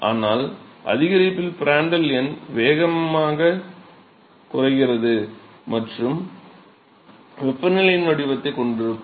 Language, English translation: Tamil, So, in increase Prandtl number will have a faster fall and temperature profile